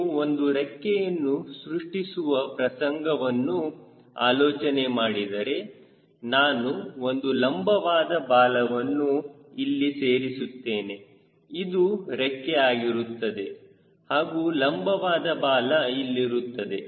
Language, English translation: Kannada, imagine a situation if you are making a wing and putting a vertical tail here, this is the wing and vertical tail here